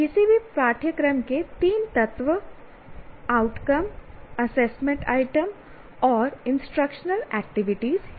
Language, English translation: Hindi, So these are the three elements, course outcome, assessment items and instructional activities